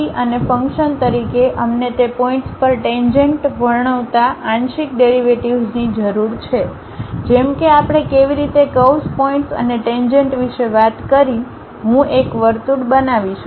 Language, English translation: Gujarati, And, we require partial derivatives describing tangent at those points like how we talked about a curve point and a tangent so that I can really construct a circle